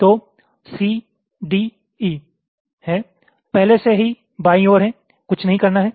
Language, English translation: Hindi, let see: so c, d, e are already to the left, nothing to do